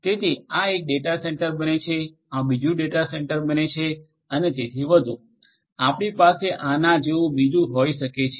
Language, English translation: Gujarati, So, this becomes one data centre, this becomes another data centre and so on so, you can have another like this